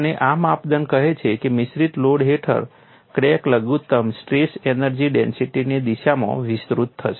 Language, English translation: Gujarati, And this criterion says, crack under mixed loading will extend in the direction of minimum strain energy density